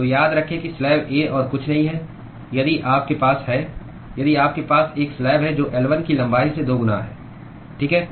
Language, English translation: Hindi, So, remember that slab A is nothing but if you have if you have a slab which is twice the length of L1, right